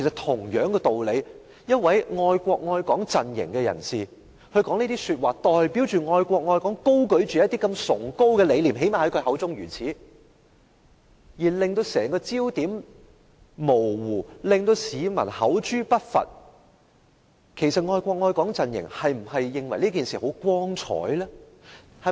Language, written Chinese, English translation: Cantonese, 同一道理，一位屬愛國愛港陣營的人士說出這種話，以其代表他口中這麼崇高的愛國愛港理念而言，徒令焦點模糊，招來市民的口誅筆伐，那麼愛國愛港陣營是否認為這是很光彩的事情？, Similarly if a member of the love the country and Hong Kong camp makes such remarks it will only blur the focus of the lofty ideals of love the country and Hong Kong that he represents and attract condemnation and denunciation from the people . Under such circumstances is it something that the love the country and Hong Kong camp can take pride in?